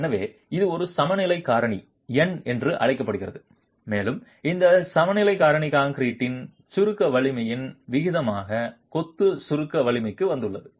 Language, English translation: Tamil, So, this is called an equivalence factor n and this equivalence factor has arrived at as the compressive ratio of compressive strength of concrete to the compressive strength of masonry